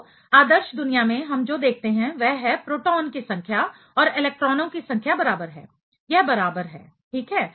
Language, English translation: Hindi, So, in an ideal world, what we see is number of protons and number of electrons are equal; it is equal right